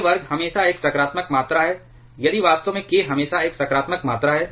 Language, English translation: Hindi, k square is always a positive quantity if fact k itself is always a positive quantity